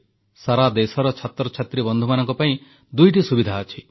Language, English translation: Odia, Student friends across the country have two opportunities